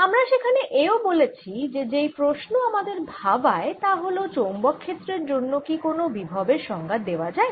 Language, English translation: Bengali, we also said there the question we are traced was: can we define a potential for magnetic fields